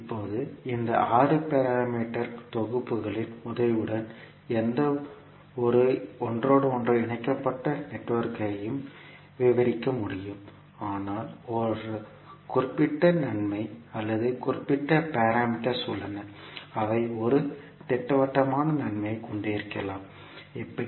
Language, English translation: Tamil, Now, we can describe any interconnected network with the help of these 6 parameter sets, but there are certain sets or parameters which may have a definite advantage, how